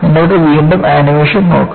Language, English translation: Malayalam, And, you can again look at the animation